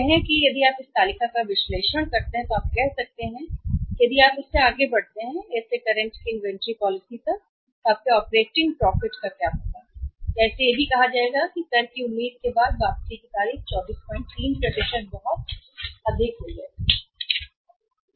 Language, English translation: Hindi, Say if you make this analysis of this table you can say that if you move from Inventory policy of current to A then what will happen your operating profit or even called it as after tax expected date of return will go up by 24